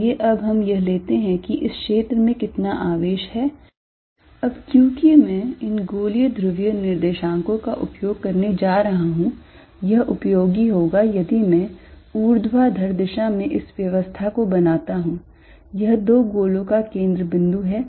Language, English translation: Hindi, Let us now take how much is the charge in this region, now since I am going to use this spherical polar coordinates it will be useful if I make this arrangement in the vertical direction, this is the centre of the two spheres